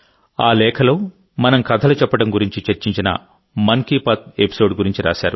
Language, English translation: Telugu, In her letter, she has written about that episode of 'Mann Ki Baat', in which we had discussed about story telling